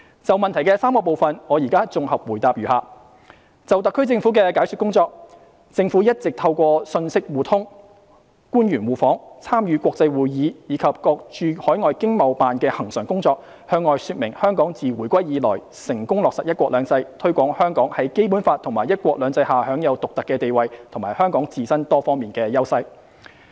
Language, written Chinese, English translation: Cantonese, 就質詢的3個部分，我現在綜合答覆如下：就特區政府的解說工作，政府一直透過信息互通、官員互訪、參與國際會議，以及各駐海外經濟貿易辦事處的恆常工作，向外說明香港自回歸以來成功落實"一國兩制"，推廣香港在《基本法》和"一國兩制"下享有獨特的地位和香港自身多方面的優勢。, My consolidated reply to the three parts of the question is as follows As for the explanatory work of the HKSAR Government the Government has been explaining to countries around the world the successful implementation of one country two systems since our return to the Motherland and promoting Hong Kongs unique status under the Basic Law and one country two systems as well as our own various advantages through exchanges of information reciprocal official visits participation in international conferences and regular work of the overseas Economic and Trade Offices ETOs